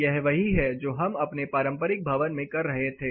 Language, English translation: Hindi, This is exactly what we were doing in our traditional building